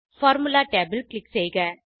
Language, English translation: Tamil, Click on the Formula tab